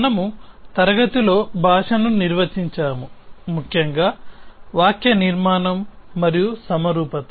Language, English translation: Telugu, In the class, we defined the language, essentially the syntax and symmetries